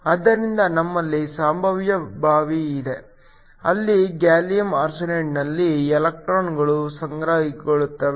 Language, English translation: Kannada, So, we have a potential well, where electrons can accumulate in gallium arsenide